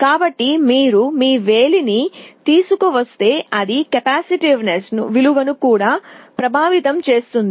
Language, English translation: Telugu, So, if you bring your finger that will also affect the value of the capacitance